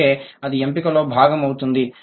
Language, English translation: Telugu, That is why it will be a part of selectivity